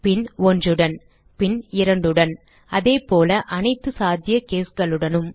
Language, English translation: Tamil, Then with 1 then with 2 and so on with all the possible cases